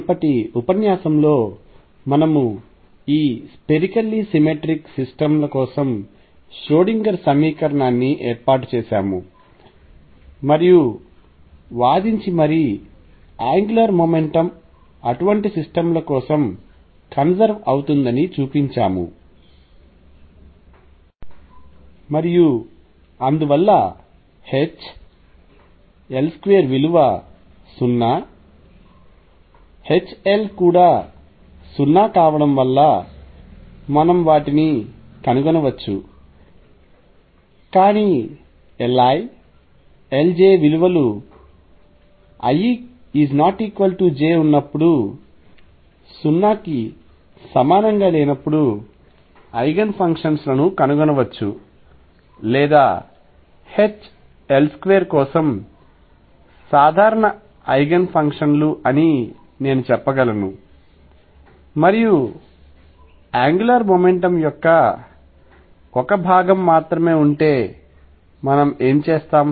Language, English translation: Telugu, In the previous lecture, we set up the Schrodinger equation for this spherically symmetric systems and then argued and showed that the angular momentum is conserved for such systems and therefore, we can find them because of H L square being 0 H L being 0, but L i L j not being equal to 0 for i not equal to j, we can find the Eigen functions that are simultaneous Eigen functions or what I will say is common Eigen functions for H L square and only one component of the angular momentum and what we will do is because of the simplicity we will choose the L z component for Eigen functions